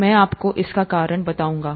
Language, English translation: Hindi, I’ll tell you the reason why